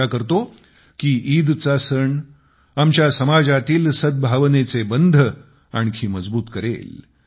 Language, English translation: Marathi, I hope that the festival of Eid will further strengthen the bonds of harmony in our society